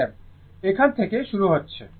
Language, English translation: Bengali, I is starting from here right